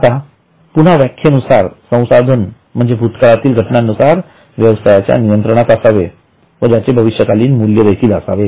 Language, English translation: Marathi, Now again the definition is given that it is a resource controlled by the enterprise as a result of some past event but it should have a future value